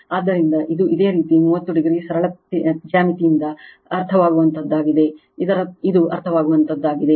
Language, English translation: Kannada, So, this is your 30 degree this is understandable from simple geometry, this is understandable